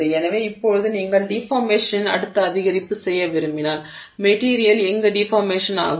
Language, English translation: Tamil, So, now if you want to do the next, you know, increment of deformation, next increment of deformation, where will the material deform